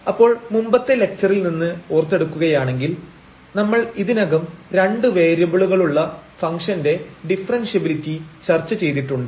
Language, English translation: Malayalam, So, just to recall from the previous lecture we have discussed already the differentiability of functions of two variables